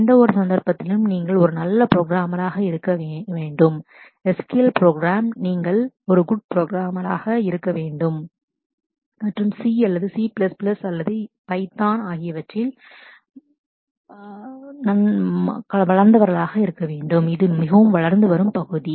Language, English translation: Tamil, You have to be a good programmer in any case I mean not only just an SQL program and you might have to be a good program and in C or C plus plus or python of these, but that is it that is a very very emerging area